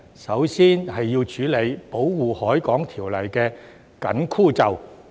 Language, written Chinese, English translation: Cantonese, 首先要處理《保護海港條例》的"緊箍咒"。, First we must deal with the constraints under the Ordinance